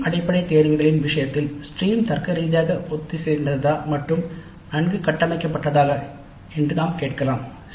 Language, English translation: Tamil, In the case of stream based electives we can ask whether the stream is logically coherent and well structured